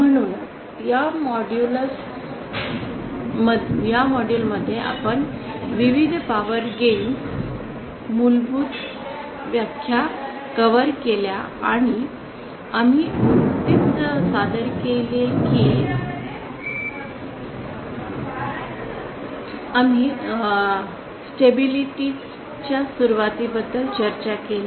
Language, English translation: Marathi, So in this module we covered the basic definitions about the various power gains and also we just introduced we just discussed the beginning of stability